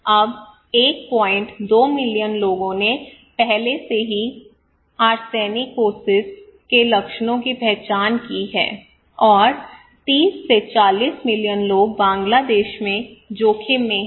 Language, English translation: Hindi, 2 million people already identified symptoms of Arsenicosis okay and 30 to 40 million people are at risk in Bangladesh